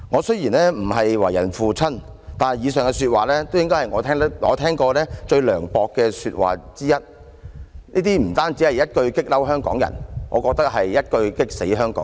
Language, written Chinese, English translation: Cantonese, 雖然我不是為人父親，但以上說話應該是我聽過最涼薄的說話之一了，不單會一句"激嬲"香港人，更會一句"激死"香港人。, I am not a father but those lines I quoted above should come among the most malicious comments that I have heard . They are not just annoying but infuriating to Hong Kong people